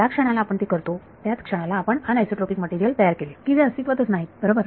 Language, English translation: Marathi, The moment we do it we have created anisotropic materials where none existed right